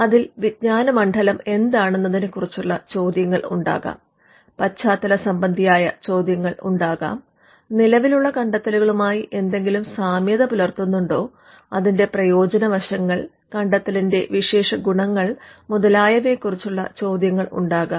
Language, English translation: Malayalam, It could have something on what is the field of knowledge, it could have something on the background art, it could have something on similarities with existing inventions, it could have something on uses advantages, the inventive features